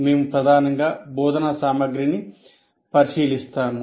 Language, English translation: Telugu, , we mainly look at the instruction material